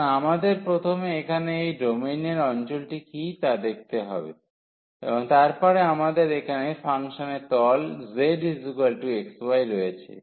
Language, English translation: Bengali, So, we have to first see what is the region here in the domain, and then we have the function surface here z is equal to x y